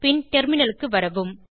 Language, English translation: Tamil, Then switch to the terminal